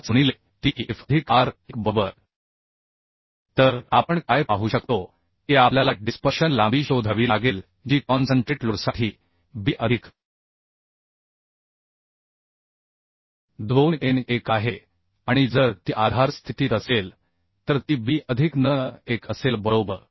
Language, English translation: Marathi, 5 into tf plus R1 right So what we can see that we have to find out the uhh dispersion length which is b plus 2n1 for concentrate load and if it is under uhh support condition then it will be b plus n1 right Now n1 is 2